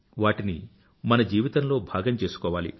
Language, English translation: Telugu, We'll have to make it part of our life, our being